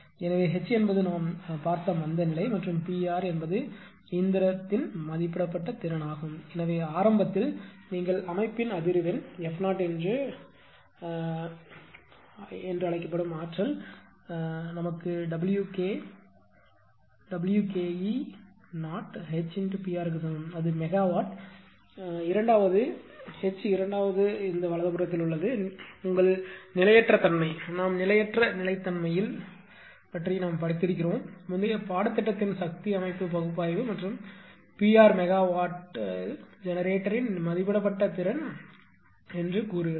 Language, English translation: Tamil, So, h is the inertia that we have seen and P r is the rated capacity of the machine therefore, initially that what you call at system frequency f 0 that energy stored is W Ke and this is superscript 0 is equal to H into P r that is megawatt second because, H is in second right is that your inertia, that we have studied in transient stability, ah in the previous course power system analysis and P r say is the rated capacity of the generator in megawatt